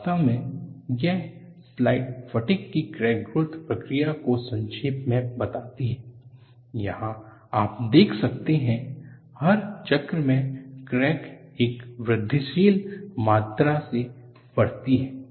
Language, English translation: Hindi, In fact, this slide summarizes, the crack growth mechanism of fatigue, where you could see, for every cycle the crack grows by an incremental amount